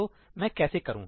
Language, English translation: Hindi, So, how do I do that